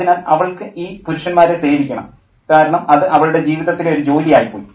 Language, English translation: Malayalam, So she has to serve these men because that's her job in life